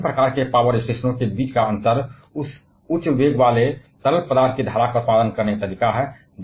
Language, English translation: Hindi, Now the difference between different kinds of power stations is the way of producing that high velocity fluids stream